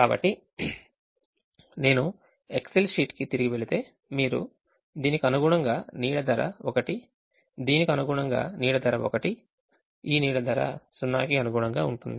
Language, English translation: Telugu, so if i go back to the excel sheet you find, corresponding to this shadow price is one corresponding to this shadow price